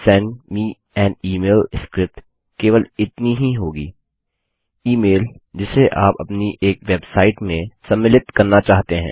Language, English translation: Hindi, This one will just be send me an email script the email that you want to include in one of your website